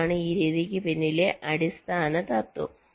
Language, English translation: Malayalam, this is the basic principle behind this method